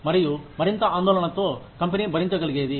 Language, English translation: Telugu, And, more concerned with, what the company can afford